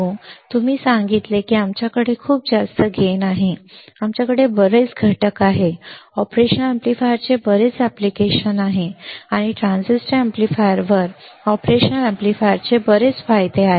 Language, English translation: Marathi, So, now, you got it right said that we have very high gain, we have lot of components, there are a lot of application of operational amplifier, and there are several advantages of operational amplifier over transistor amplifiers, over transistor amplifier correct